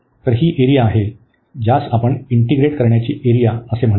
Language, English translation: Marathi, So, this is the area which we call the area of integration